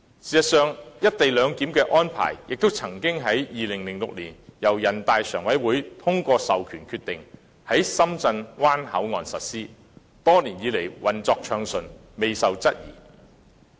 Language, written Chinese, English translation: Cantonese, 事實上，"一地兩檢"的安排亦曾於2006年由人大常委會通過授權決定，在深圳灣口岸實施，多年來運作暢順，未受質疑。, In fact the co - location arrangement has been implemented at the Shenzhen Bay Port since 2006 upon the authorization of NPCSC . The co - location arrangement has been implemented smoothly for many years and has not been queried